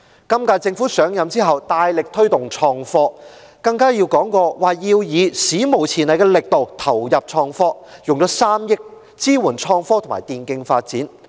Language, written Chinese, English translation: Cantonese, 本屆政府上任後大力推動創科，更提過要以"史無前例的力度投入創科"，斥資3億元支援創科和電競發展。, The current - term Government has vigorously promoted IT after it took office and even vowed to put unprecedented efforts in investing in IT by allocating 300 million to support the development of IT and e - sports